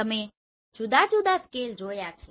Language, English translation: Gujarati, So you have seen the different scale